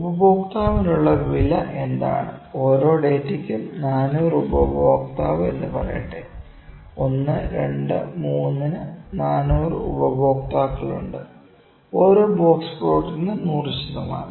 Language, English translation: Malayalam, So, what is the cost for the customer, let me say 400 customer for each data, there are 400 customers for 1, 2, 3, 1, 2, 3; 100 percent per box plot